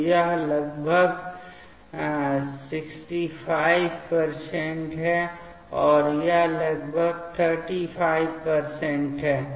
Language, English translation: Hindi, So, this is around 65 percent and this is around 35 percent